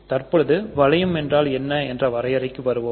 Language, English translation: Tamil, So now, let us go ahead and define what a ring is